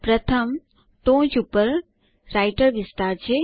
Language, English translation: Gujarati, The first is the Writer area on the top